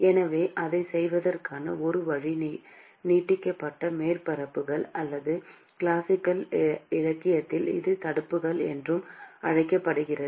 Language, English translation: Tamil, So, one way to do that is what is called the extended surfaces or in classical literature it is also called as fins